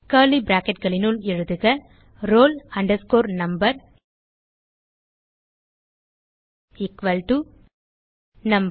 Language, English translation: Tamil, within curly brackets roll number is equalto num